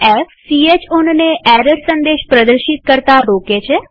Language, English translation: Gujarati, f: Prevents ch own from displaying error messages